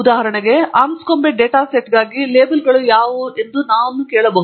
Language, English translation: Kannada, For example, we could ask what are the labels for Anscombe data set